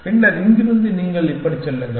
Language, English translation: Tamil, Then, from here you go like this